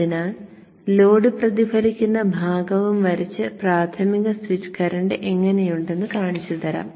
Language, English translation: Malayalam, So let me draw also the load reflected part and show you how the primary switch current looks like